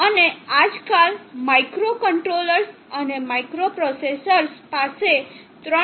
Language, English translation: Gujarati, And nowadays microcontrollers and microprocessors have 3